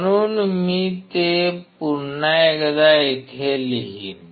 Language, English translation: Marathi, So, I will write it down here once again